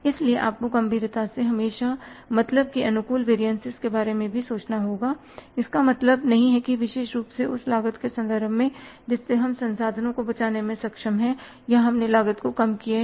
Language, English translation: Hindi, So, you have to seriously think about means always the favorable variances, it doesn't mean especially in terms of the cost that we have been able to save the resources or the lower down the cost